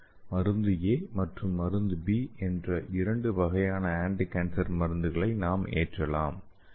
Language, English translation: Tamil, Here you can see here, we can load two different kinds of anticancer drugs drug A and drug B